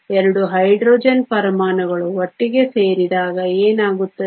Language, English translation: Kannada, What happens when we have 2 Hydrogen atoms come together